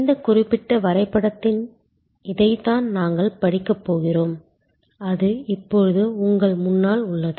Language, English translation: Tamil, And this is what we are going to study in this particular diagram, which is now in front of you